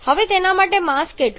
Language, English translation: Gujarati, Now how much is the mass for that